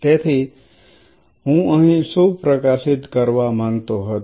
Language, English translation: Gujarati, So, what I wanted to highlight here